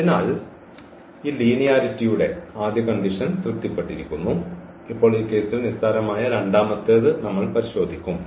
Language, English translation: Malayalam, So, the first condition of this linearity is satisfied and now we will check for the second one which is also trivial in this case